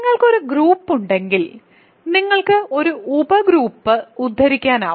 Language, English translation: Malayalam, So, if you have a group then you can quotient by a sub group